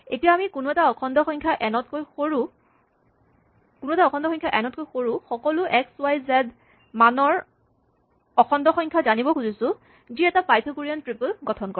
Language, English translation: Assamese, Let us say, we want to know all the integer values of x, y and z, whose values are below n, such that, x, y and z form a Pythagorean triple instance